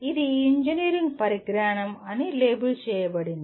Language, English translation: Telugu, It is labelled as engineering knowledge